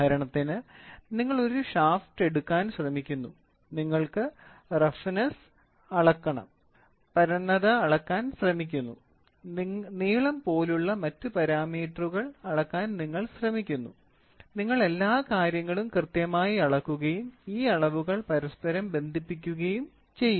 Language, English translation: Malayalam, For example, you try to take a shaft, you measure the roughness, you try to measure the flatness, you try to measure other parameters then length; all those things you measure and then you measure it accurately and correlate measurement of all these quantities involved are done